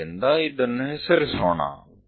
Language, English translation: Kannada, So, let us name this